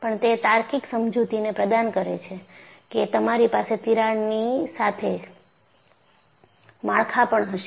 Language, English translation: Gujarati, But, it provided a logical explanation that you will have structures with crack